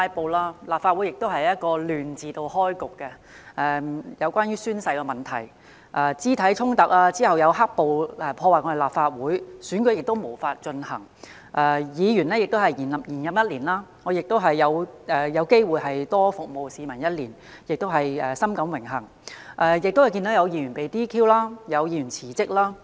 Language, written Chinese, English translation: Cantonese, 本屆立法會由"亂"字開局，例如宣誓問題、肢體衝突，然後是"黑暴"破壞立法會，選舉無法進行，議員延任一年——我因而有機會多服務市民一年，我深感榮幸——同時，有議員被 "DQ"， 又有議員辭職。, The current term of this Council kicked off in chaos for example the oath - taking incident and physical confrontations . What then followed was the vandalism of the Legislative Council Complex by the black - clad rioters which resulted in the impossibility of holding an election . While Members have their terms of office extended for one year―I have thus been privileged to get the opportunity to serve the public for another year―some of them got disqualified and some tendered their resignations